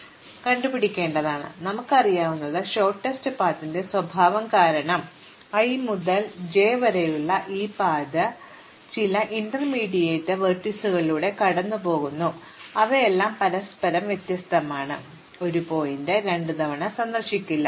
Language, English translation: Malayalam, But, what we do know, because of the characterization of shortest path is that this path from i to j goes through some intermediate vertices all of which are different from each other, no vertex is visited twice